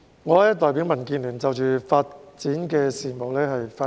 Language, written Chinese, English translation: Cantonese, 主席，我代表民建聯就發展事務發言。, President I will speak on development issues on behalf of DAB